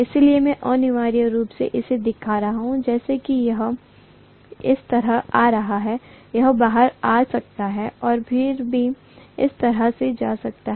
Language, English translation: Hindi, So I am essentially showing as though it is coming like this, it can come out and then it can go like this